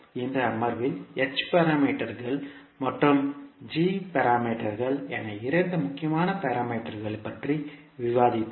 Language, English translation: Tamil, In this session we discussed about two important parameters which were h parameters and g parameters